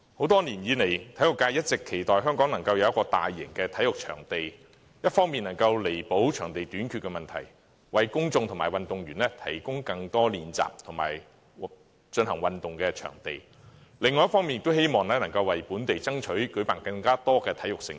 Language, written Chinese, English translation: Cantonese, 多年來，體育界一直期望香港能夠有一個大型的體育場地，一方面能夠彌補場地短缺的問題，為公眾及運動員提供更多練習及進行運動的地方，另一方面亦希望能夠為本地爭取舉辦更多體育盛事。, For years the sports sector has hoped for a large - scale sports venue in Hong Kong . Such a venue on the one hand can be a corrective to the problem of venue shortage serving as a training and exercise ground for the public and the athletics . On the other hand it forms part of a local bid to strive for hosting more mega sports events